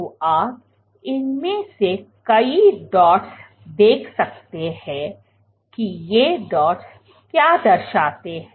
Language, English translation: Hindi, So, you can see multiple of these dots now what do these dots represent